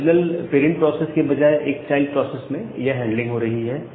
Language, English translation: Hindi, Now this handling is done by a child process rather than the original parent process